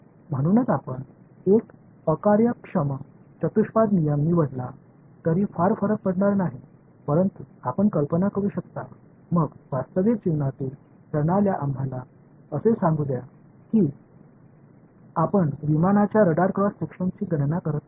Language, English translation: Marathi, So, it will not matter very much even if you choose a inefficient quadrature rule, but you can imagine then real life systems let us say you are calculating the radar cross section of a aircraft